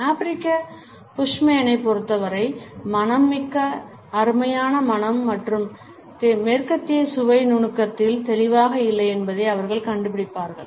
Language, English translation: Tamil, For the African Bushmen, the loveliest fragrance is that of the rain and they would find that the western taste are distinctly lacking in subtlety